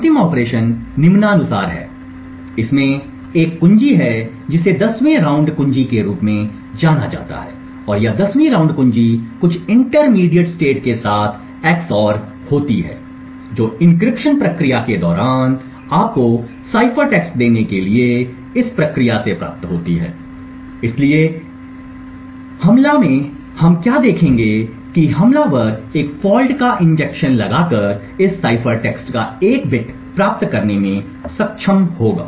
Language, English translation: Hindi, The last operation is as follows it has a key this is known as the 10th round key and this 10th round key is xored with some intermediate state obtained from this during the encryption process to give you the cipher text, so thus what we will see in this attack is the attacker would be able to get one bit of this cipher text by injecting a fault